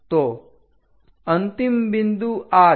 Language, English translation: Gujarati, So, the end point is this